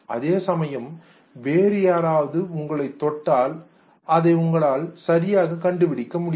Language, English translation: Tamil, Whereas if somebody else touches you you are not able to provide the correct meaning to it